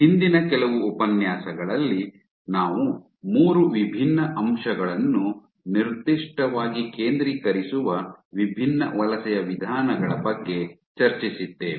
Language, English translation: Kannada, In the last few lectures we had discussed about different modes of migration specifically focusing on 3 different aspects